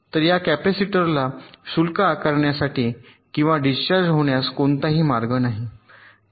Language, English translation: Marathi, so there is no path for this capacitor to get charged or discharged